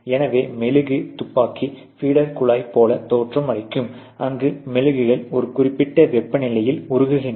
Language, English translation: Tamil, So, this is how a gun really looks like a wax gun really looks like you have a feeder tube, where the waxes melted and flown at a certain temperature